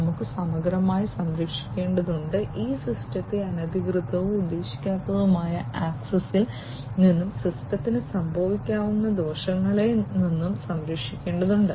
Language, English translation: Malayalam, We have to holistically, we need to protect we need to protect this system from unauthorized, unintended access and potential harm to the system